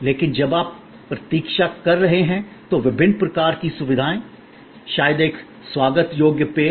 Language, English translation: Hindi, But, while you are waiting, the different kind of amenities provided, maybe a welcome drink and so on